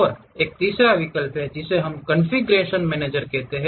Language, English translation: Hindi, And there is a third one option, that is what we call configuration manager